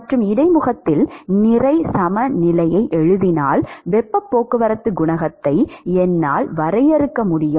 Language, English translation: Tamil, So, therefore, based on this heat balance at the interface, we can write the heat transport coefficient as